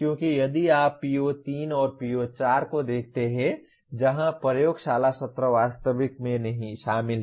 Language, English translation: Hindi, Because if you look at PO3 and PO4 where the lab sessions are involved actually